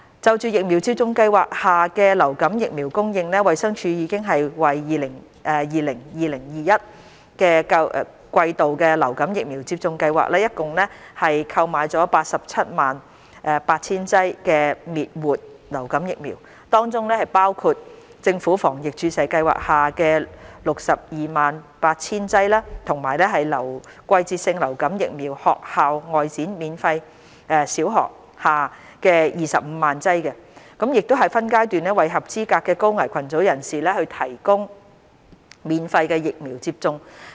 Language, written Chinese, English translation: Cantonese, 就疫苗接種計劃下的流感疫苗供應，衞生署已為 2020-2021 季度的疫苗接種計劃共訂購了 878,000 劑滅活流感疫苗，當中包括政府防疫注射計劃下 628,000 劑及"季節性流感疫苗學校外展—小學"下25萬劑，已分階段為合資格的高危群組人士提供免費疫苗接種。, For supply of influenza vaccine under vaccination programmes DH has procured a total of 878 000 doses of inactivated influenza vaccine for the 2020 - 2021 season vaccination programmes comprising 628 000 doses for the Government Vaccination Programme and 250 000 doses for the Seasonal Influenza Vaccination School Outreach ―Primary Schools for eligible high - risk groups to receive influenza vaccination free - of - charge in phases